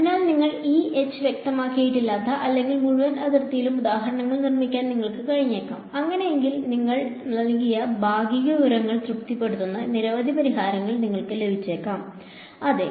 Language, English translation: Malayalam, So, you may be able to construct examples where you have not specified E tan or H tan over the entire boundary, in that case you may get many solutions which satisfy the partial information which you given that is possible yeah